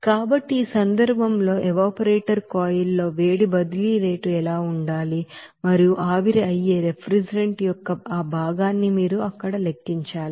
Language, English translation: Telugu, So in this case what should be the heat transfer rate in this evaporator coil and also you have to calculate that fraction of the refrigerant that evaporates you have to calculate there